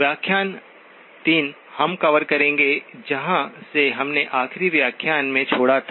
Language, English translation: Hindi, Lecture 3, we will be covering, picking up from where we left of in the last lecture